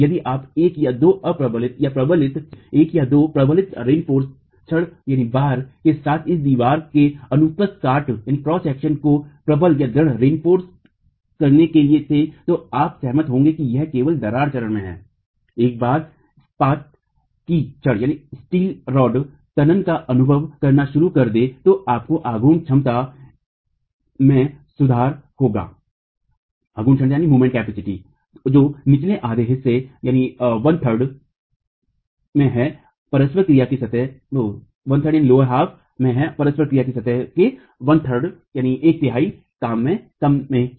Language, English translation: Hindi, If you were to reinforce this wall cross section with one or two reinforcement bars, then you will agree that it is only in the cracked phase, once the steel bars start experiencing tension, you will have improved moment capacity which is in the lower half, in the lower one third of the interaction surface itself